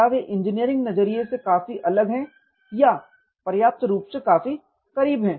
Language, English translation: Hindi, Are they far different or close enough from an engineering perspective point of view